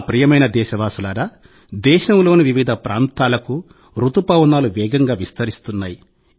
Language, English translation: Telugu, My dear countrymen, monsoon is spreading its hues rapidly in different parts of the country